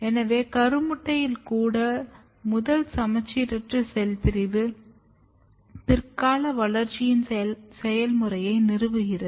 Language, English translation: Tamil, So, even in the zygote you can see here the first asymmetric cell division is basically establishing the process of later development